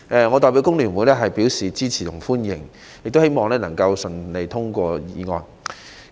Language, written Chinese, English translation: Cantonese, 我代表香港工會聯合會表示支持及歡迎，亦希望《條例草案》能夠順利通過。, On behalf of the Hong Kong Federation of Trade Unions FTU I would like to express our support and welcome and hope that the Bill will be passed smoothly